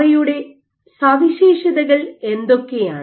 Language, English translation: Malayalam, What are their properties